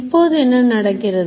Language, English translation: Tamil, So this is what is happening